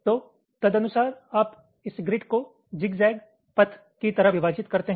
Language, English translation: Hindi, so accordingly you split this grid like the zigzag path